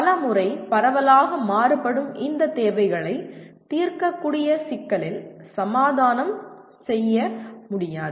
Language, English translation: Tamil, And many times this widely varying needs cannot be compromised into a solvable problem